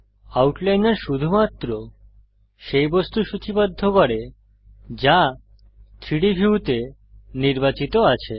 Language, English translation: Bengali, The Outliner lists only that object which is selected in the 3D view